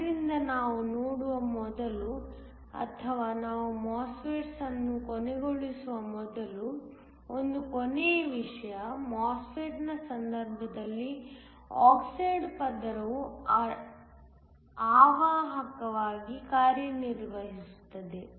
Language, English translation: Kannada, So, one last thing before we look or before we end the MOSFETS, the oxide layer in the case of a MOSFET acts as an insulator